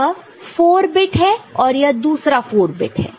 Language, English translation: Hindi, So, this is 4 bit, this is 4 bit, so, this is another say 4 bit over here